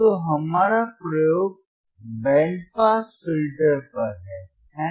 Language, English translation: Hindi, So, our experiment is on band pass filter, right